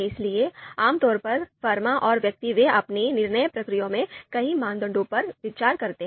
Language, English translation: Hindi, So typically firms and individuals, they consider multiple criteria in their decision process